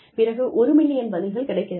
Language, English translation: Tamil, And, I get, maybe 1 million responses